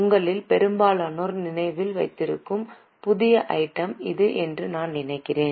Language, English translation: Tamil, I think this is a new item for most of you, just keep in mind